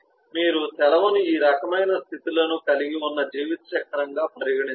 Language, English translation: Telugu, you can consider the leave as a lifecycle which has these different kind of states